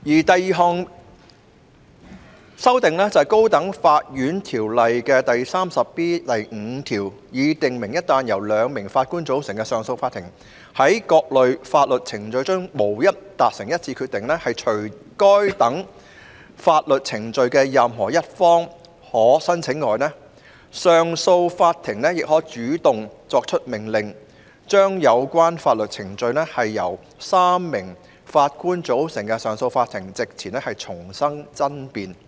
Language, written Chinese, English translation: Cantonese, 第二項是修訂《條例》第 34B5 條，以訂明一旦由"兩名法官組成的上訴法庭"在各類法律程序中無法達成一致決定，除該等法律程序的任何一方可申請外，上訴法庭亦可主動作出命令，將有關法律程序在由"三名法官組成的上訴法庭"席前重新爭辯。, Second it is to amend section 34B5 of the Ordinance so that when the 2 - Judge CA in various types of proceedings cannot reach a unanimous decision in addition to a party being allowed to apply to re - argue the case before a 3 - Judge CA the Court may also make such an order on its own motion